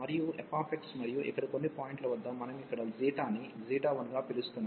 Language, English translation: Telugu, And f x and some point here psi, which we are calling here psi 1